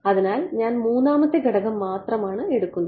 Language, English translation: Malayalam, So, I am only taking the 3rd component right